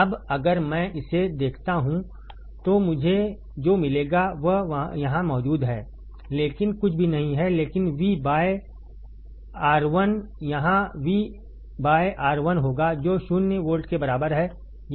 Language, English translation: Hindi, Now, if I see that then what I would find that is current here is nothing but V by R1 here will be V by R 1, that equals to zero volts